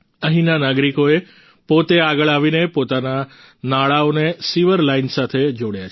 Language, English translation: Gujarati, The citizens here themselves have come forward and connected their drains with the sewer line